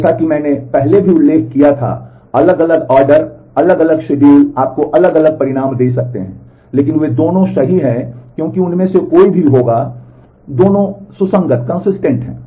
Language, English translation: Hindi, As I had mentioned earlier also, the different ordering different schedule might give you different results, but both of them are correct, because any one of them will happen, but both are consistent